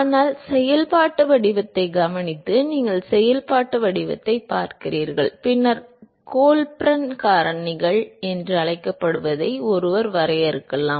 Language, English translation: Tamil, But then observing the functional form, you look at the functional form and then one can define what is called the Colburn factors